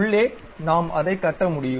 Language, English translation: Tamil, So, inside also we can construct it